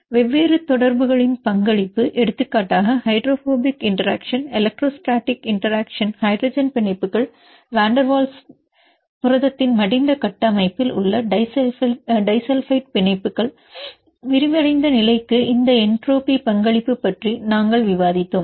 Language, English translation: Tamil, Then we discussed about the contribution of different interactions for example, hydrophobic interaction, electrostatic interaction, hydrogen bonds, van der Waals interactions the disulfide bonds in the folded structure of the protein, this entropy contribution to the unfolded state